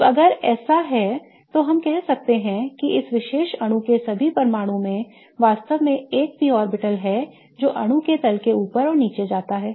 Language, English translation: Hindi, Now, if that is the case then we can say that all the atoms in this particular molecule really have a P orbital that goes above and below the plane of the molecule